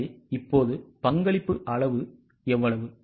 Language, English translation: Tamil, So, how much is a contribution margin now